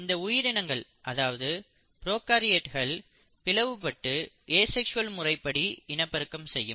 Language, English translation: Tamil, And, these organisms or prokaryotes divide through the process of asexual reproduction